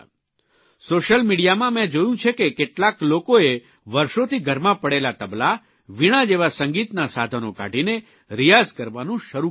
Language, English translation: Gujarati, I also saw on social media, that many people took out musical instruments like table and Veena that were lying unused for years and started practising on them